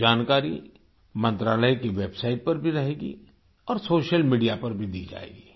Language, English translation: Hindi, This information will also be available on the website of the ministry, and will be circulated through social media